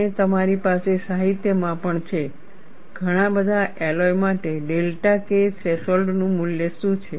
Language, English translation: Gujarati, And you also have in the literature, what is the value of delta K threshold for many of the alloys